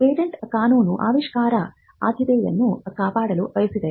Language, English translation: Kannada, Patent law wants to safeguard priority of inventions